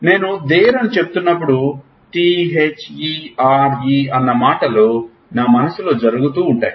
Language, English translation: Telugu, When I am saying there; T H E R E is happening in my mind